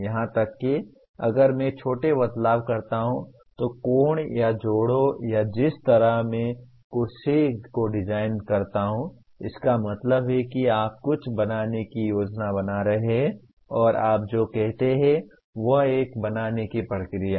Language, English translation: Hindi, Even if I make small changes, the angles or the joints or the way I design the chair it becomes that means you are creating a plan to fabricate something and that is what do you call is a create process